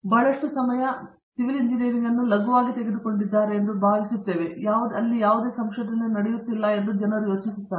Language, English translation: Kannada, Lot of time, we think that people take civil engineering for granted and they don’t think any research goes on